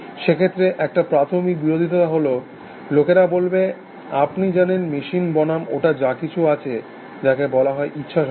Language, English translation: Bengali, So, one of the fundamental objections, the people ask, there is that, you know machines versus whatever it is, which is called as free will